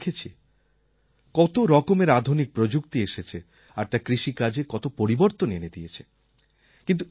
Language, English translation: Bengali, There I saw the modern technology that is now available for farmers and how much change has come in agriculture